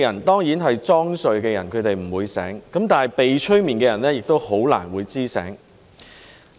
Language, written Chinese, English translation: Cantonese, 當然裝睡的人不會醒，但被催眠的人亦很難會懂得醒過來。, Those who stoke the fire Of course those pretending to be asleep will not be woken up but those hypnotized will hardly know how to wake up either